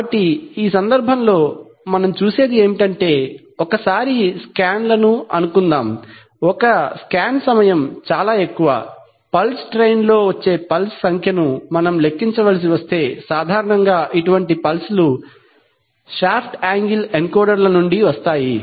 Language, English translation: Telugu, So in this case what we see is that, suppose the scans, the one scan time is this much, if we have to count the number of pulses which are arriving on a pulse train typically such pulses come from shaft angle encoders